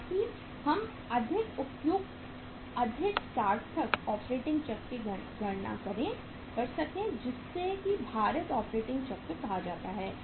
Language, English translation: Hindi, So that we can calculate more appropriate more meaningful operating cycle which is called as the weighted operating cycle